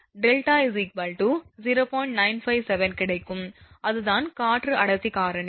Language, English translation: Tamil, 957, that is the air density factor